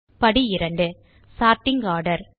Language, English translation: Tamil, Now we are in Step 2 Sorting Order